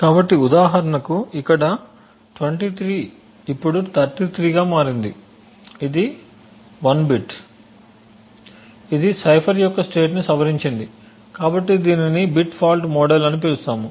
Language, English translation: Telugu, So for instance over here 23 has now become 33 that is 1 bit that has modify the state of the cipher so we call this as a bit fault model